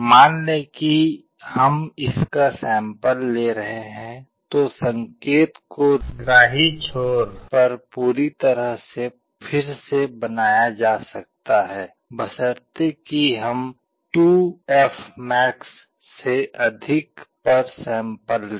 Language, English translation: Hindi, Suppose we are sampling it, the signal can be perfectly reconstructed at the receiving end provided we carry out sampling at greater than 2fmax